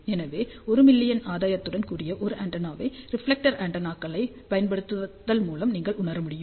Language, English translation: Tamil, So, you can realize an antenna with the gain of 1 million by using reflector antennas